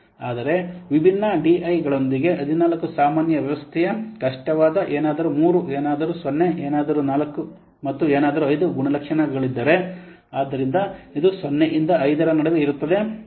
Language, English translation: Kannada, But if it is different, like the 14 general system characteristics with different dies, like for something 3, something 0, something 4 and something 5, so it is ranging in between, it is ranking in between 0 to 5